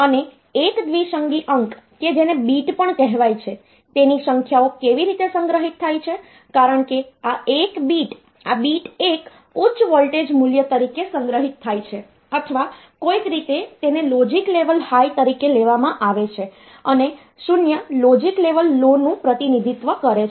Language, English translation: Gujarati, And a binary digit which is also called bit so that is how the numbers are stored because this the bit 1 is stored as a high voltage value or the somehow it is been taken as logic level high and 0 represent the logic level low